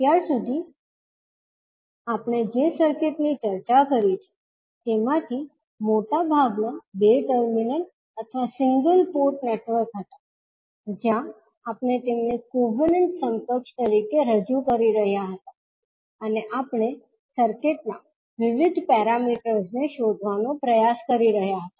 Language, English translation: Gujarati, So, most of the circuit which we have discussed till now were two terminal or single port network, where we were representing them as a covenant equivalent and we were trying to find out the various parameters of the circuit